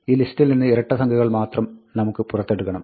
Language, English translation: Malayalam, We want to first pull out only the even numbers in the list